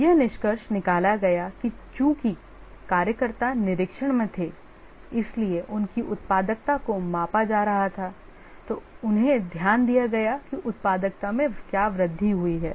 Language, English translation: Hindi, It was concluded that since the workers were under observation their productivity was being measured, they were paid attention